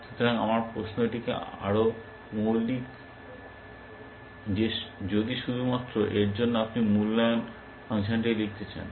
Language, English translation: Bengali, So, my question is more fundamental, that if you are to write the evaluation function, just for